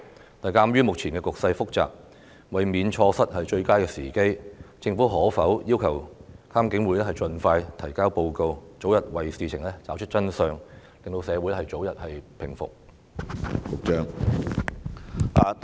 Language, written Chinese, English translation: Cantonese, 然而，鑒於目前的局勢複雜，為免錯過最佳時機，政府可否要求監警會盡快提交報告，早日為事情找出真相，令社會早日回復平靜？, However given the complicated situation at present and in order not to miss the opportune time can the Government request IPCC to expeditiously submit the report so that the truth can be uncovered and tranquility can be restored in society as early as possible?